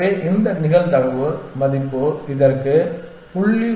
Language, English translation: Tamil, So, this probability value is 0